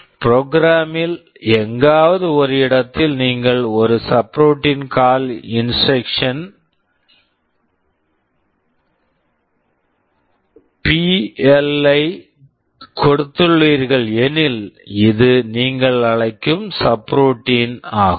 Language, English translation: Tamil, Suppose in a program somewhere you have given a subroutine call instruction BL and this is the subroutine you are calling